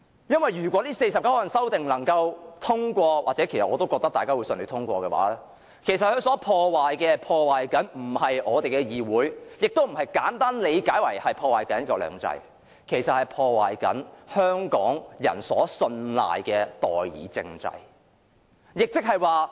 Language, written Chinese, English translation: Cantonese, 因為如果這49項修訂獲得通過——其實我也覺得修訂會順利通過——它所破壞的不是我們的議會，亦不是如大家簡單地理解般，會破壞"一國兩制"，其實它所破壞的，是香港人信賴的代議政制。, Because if these 49 amendments are passed―I actually believe the amendments will be passed smoothly―it is not our Council that they will destroy . It is also not as simple as what Members interpret that they will destroy one country two systems . What they will actually destroy is the system of representative government trusted by the people of Hong Kong